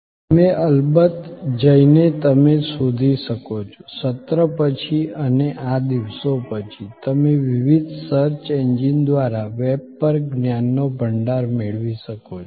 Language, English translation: Gujarati, You can of course, go and search for it, after the session and these days, you can get a wealth of knowledge on the web, just through the various search engines